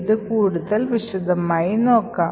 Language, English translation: Malayalam, So, let us see this more in detail